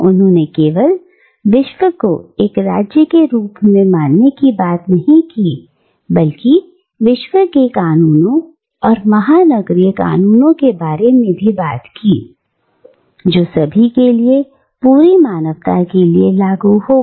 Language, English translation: Hindi, And, not only does he talk about, the world as a single State, but he also talks about world laws or cosmopolitan laws, which will be applicable to everyone, to the entire humanity